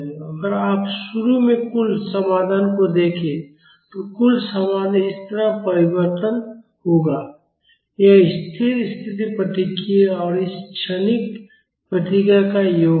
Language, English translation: Hindi, And if you look at the total solution initially, the total solution will vary like this; it is the sum of the steady state response and this transient response